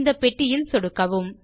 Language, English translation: Tamil, Click on this box with the mouse